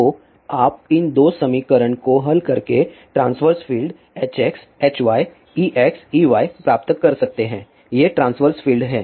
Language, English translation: Hindi, So, by you solving these two equation we can get the transverse fields H x, H y, E x, E y these are the transverse fields